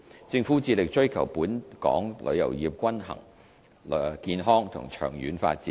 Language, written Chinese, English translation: Cantonese, 政府致力追求本港旅遊業均衡、健康和長遠發展。, The Government is committed to pursuing a balanced healthy and long - term development of our tourism industry